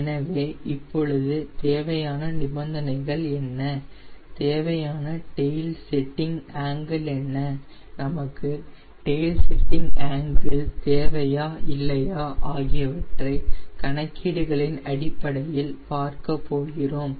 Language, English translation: Tamil, so now we will see what will be the required condition, what will be the tail setting angle, whether we even require a tail setting angle or not, based on these calculations